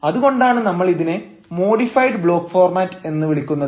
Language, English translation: Malayalam, that is why we call it a modified block format